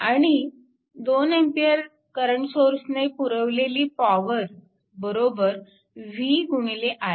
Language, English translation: Marathi, And power supplied by 2 ampere current source is 90 it is v into i